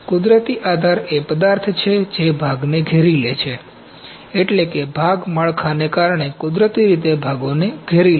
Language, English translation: Gujarati, Natural support is the material that surrounds the part, that is the surrounds a parts naturally because of the part build